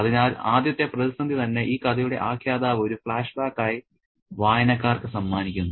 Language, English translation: Malayalam, So, the very first crisis is itself presented to the readers as a flashback by the narrator of the story